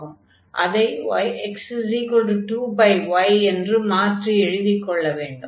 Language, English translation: Tamil, So, this is x is equal to 2 and y is 2 over x